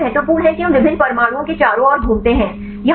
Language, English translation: Hindi, The torsion angles are important that we give the rotations around the different atoms